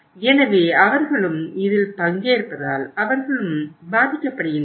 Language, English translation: Tamil, So they are also the party to it so they are also getting affected